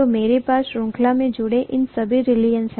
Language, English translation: Hindi, So I have all these reluctances connected in series